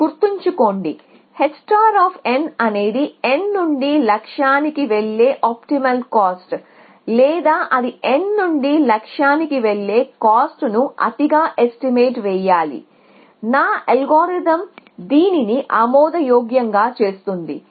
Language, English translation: Telugu, Remember h star of n is the optimal cost of going from n to the goal or should it overestimate the cost of going from n to the goal, which one will make my algorithm admissible